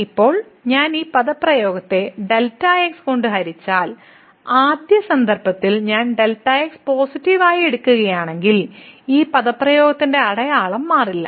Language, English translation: Malayalam, And, now if I divide this expression here by and if I in the first case I take as positive, then the sign of this expression will not change